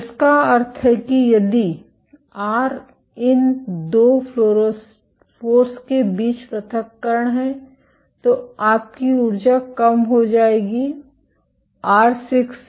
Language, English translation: Hindi, Which means if r is the separation between these 2 fluorophores your energy will decrease reduce as r to the power 6